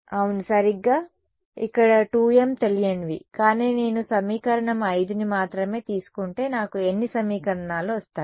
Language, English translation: Telugu, Yeah exactly so, yeah ok so, 2 m unknowns over here, but if I take only equation 5 how many equations will I get